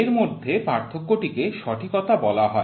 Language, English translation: Bengali, The difference between these is called as the accuracy